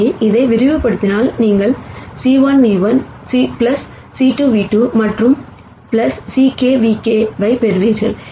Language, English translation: Tamil, So, if you expand this you will get c 1 nu 1 plus c 2 nu 2 and so on plus c k nu k